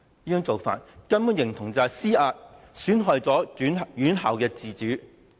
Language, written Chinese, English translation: Cantonese, 這種做法形同施壓，損害院校自主。, It is tantamount to exerting pressure and jeopardizing the autonomy of schools